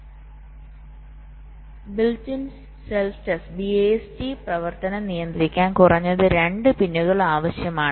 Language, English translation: Malayalam, so to control the bist operation we need ah minimum of two pins